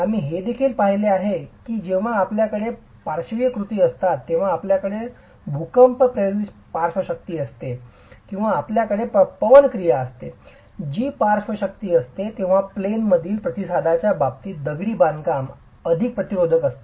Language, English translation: Marathi, We also saw that when you have lateral actions, when you have earthquake induced lateral forces or you have wind action which is a lateral force, then the masonry is more resistant in terms of its in plain response